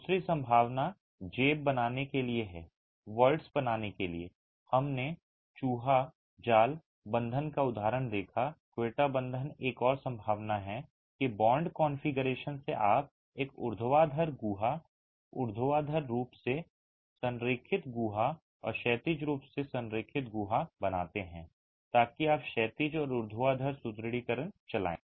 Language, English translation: Hindi, We saw the example of the rat trap bond, the quetta bond is another possibility that by bond configuration you create a vertical cavity, vertically aligned cavity and a horizontally aligned cavity so that you run horizontal and vertical reinforcement